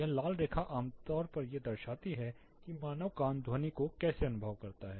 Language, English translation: Hindi, This red line typically represents how human ear perceives sound